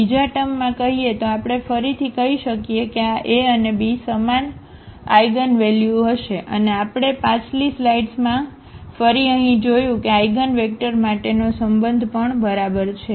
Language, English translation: Gujarati, In other words, we can say again that this A and B will have the same eigenvalues and we have seen again in the previous slide here the relation for the eigenvectors as well ok